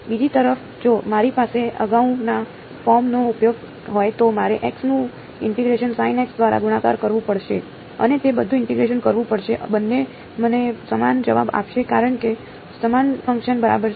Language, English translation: Gujarati, On the other hand if I have if use the previous form then I have to do the integration of x multiplied by sin x and do all that integration both will give me the same answer because is the same function ok